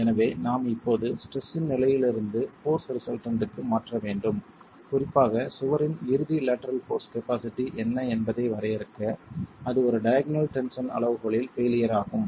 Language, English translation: Tamil, And therefore we need to now transfer from the state of stress to the force resultants especially to define what is the ultimate lateral force capacity of the wall if it were to fail in a diagonal tension criterion